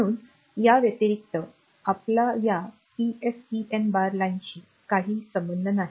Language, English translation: Marathi, So, apart from that this PSEN bar line we will have no connection